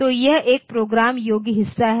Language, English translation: Hindi, So, that is what a programmable part